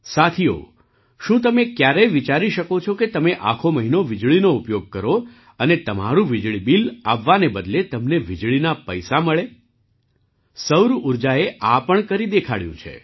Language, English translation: Gujarati, Friends, can you ever imagine that on using electricity for a month, instead of getting your electricity bill, you get paid for electricity